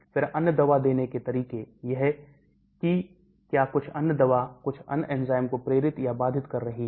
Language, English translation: Hindi, then other drug administration, that is whether some other drug is inducing or inhibiting certain enzymes